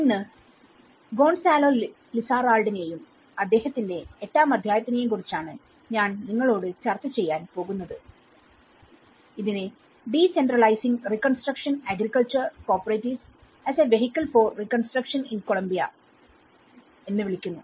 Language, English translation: Malayalam, And today, whatever I am going to discuss you with about the Gonzalo Lizarralde and one of his chapter in chapter 8, is called decentralizing reconstruction agriculture cooperatives as a vehicle for reconstruction in Colombia